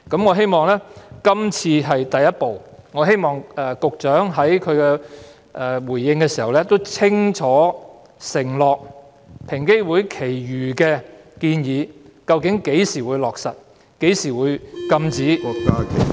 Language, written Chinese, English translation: Cantonese, 我希望今次修例是第一步，並希望局長稍後回應時清楚承諾會落實平機會餘下的建議，以及交代究竟何時落實，何時禁止......, I hope that this legislative amendment exercise is the first step taken by the Government and that the Secretary will in his later response clearly pledge to implement the remaining recommendations of EOC with specific time frames on when to implement the recommendations and when to prohibit